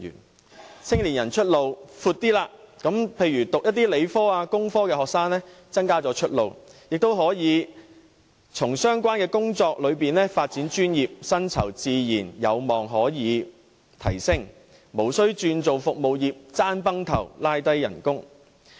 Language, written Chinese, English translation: Cantonese, 他們的青年人出路比較闊，讓理科或工科的學生有較多出路，亦可以在相關工作中發展專業，薪酬自然有望可以提升，無須轉行從事競爭激烈的服務業，以致拖低工資。, Their young people have a wider range of career pathways and with more career options their science or engineering students can also seek professional development in the relevant positions . So their salaries may naturally increase and they need not switch to the service industry marked by keen competitions which may otherwise drag down their wages